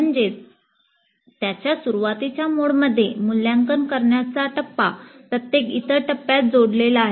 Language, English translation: Marathi, That means in its formative mode, the evaluate phase is connected to every other phase